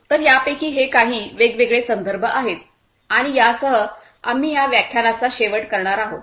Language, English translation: Marathi, So, these are some of these different references and with this we come to an end